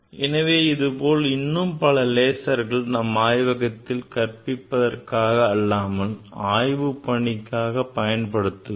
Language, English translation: Tamil, These are the different kind of laser and this we use in our laboratory not for teaching laboratory for other purpose